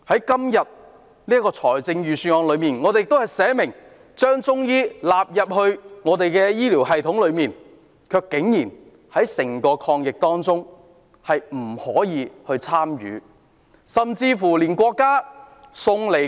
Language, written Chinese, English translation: Cantonese, 今年的預算案列明已把中醫藥納入本港的醫療系統，但中醫藥卻竟然不可以參與抗疫工作。, While the Budget this year states that Chinese medicine has been incorporated into our health care system Chinese medicine is surprisingly not allowed to participate in the anti - epidemic work